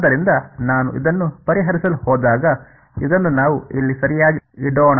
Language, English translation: Kannada, So, when I go to sort of solve this, let us put this in over here alright